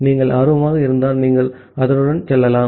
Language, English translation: Tamil, If you are interested, you can go with that